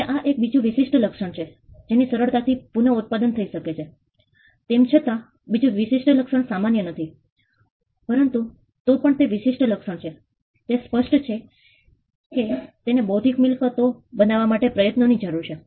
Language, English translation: Gujarati, Now this is another trait that it can be reproduced easily, yet another trait which is not common, but nevertheless it is a trait is the fact that it requires effort to create intellectual property